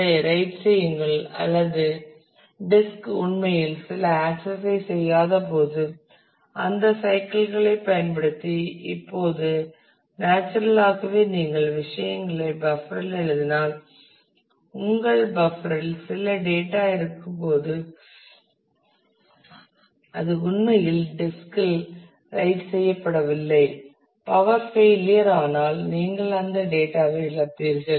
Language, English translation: Tamil, And write that or when the disk is not actually doing something some access you can use those cycles to write that now naturally if you write things onto the buffer then it is possible that while your buffer has some data which has actually not been written to the disk if the power fails then you will lose that data